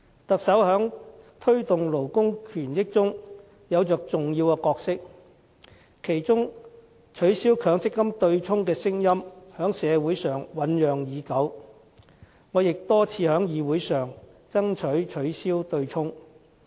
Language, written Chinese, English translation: Cantonese, 特首在推動勞工權益中有着重要的角色，其中取消強制性公積金對沖的聲音在社會上醞釀已久，我也多次在議會上爭取取消對沖。, The Chief Executive has a very important role to perform in the promotion of workers rights and interests . In this regard voices asking for the abolition of the offsetting arrangement under the Mandatory Provident Fund System have been heard for a long time and I myself have repeatedly fought for its abolition in this Council